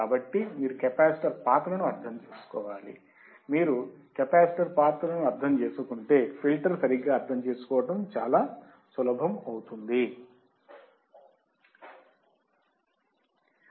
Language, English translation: Telugu, So, you have to just understand the role of the capacitor, if you understand the role of capacitor, the filter becomes very easy to understand right